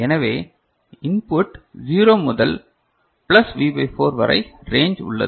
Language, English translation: Tamil, So, in the input is 0 to plus V by 4 in this range